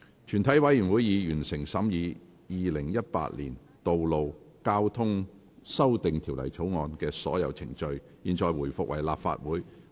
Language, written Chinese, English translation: Cantonese, 全體委員會已完成審議《2018年道路交通條例草案》的所有程序。現在回復為立法會。, All the proceedings on the Road Traffic Amendment Bill 2018 have been concluded in committee of the whole Council